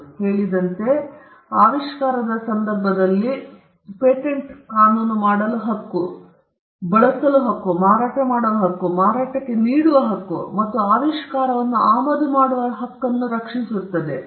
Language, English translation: Kannada, As I said, in the case of an invention, patent law protects the right to make, the right to use, the right to sell, the right to offer for sale, and the right to import the invention